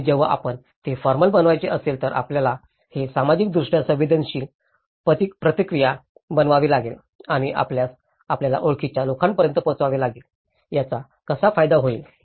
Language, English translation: Marathi, And when if you want to make it formal, you have to make it a socially sensitive responses and you have to communicate it to the people you know, how it can benefit